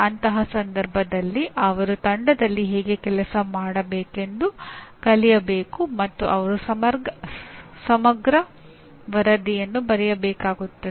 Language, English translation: Kannada, In that case they have to learn how to work in a team and they have to write a comprehensive report